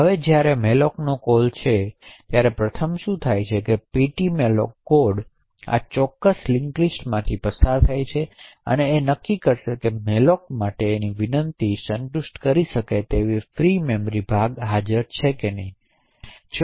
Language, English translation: Gujarati, Now whenever there is a malloc that gets requested what happens first is that the ptmalloc code would pass through this particular link list and determining whether there is a free chunk of memory that it can satisfy the request for malloc